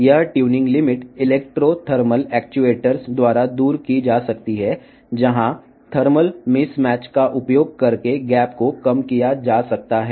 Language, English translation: Telugu, This tuning limit can be overcome by the electro thermal actuators, where the gap is reduced using the thermal mismatch